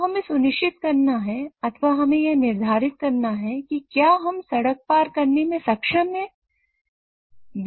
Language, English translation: Hindi, So we have to ensure or we have to predict whether we are able to cross the road without being hit